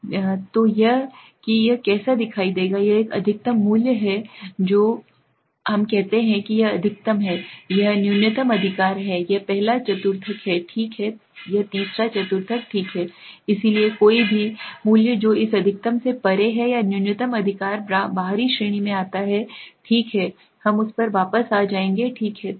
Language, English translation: Hindi, Okay, so this is how it would look like the longer one this is the maximum value this is the maximum value we say this is the maximum, this is the minimum right, this is the first quartile okay, this is the third quartile okay, so anybody, any value that is beyond this maximum or minimum right falls into the outlier category okay we will come back to that, okay